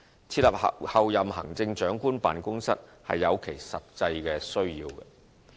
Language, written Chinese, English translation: Cantonese, 設立候任行政長官辦公室是有其實際需要的。, There is a practical need to establish the Office of the Chief Executive - elect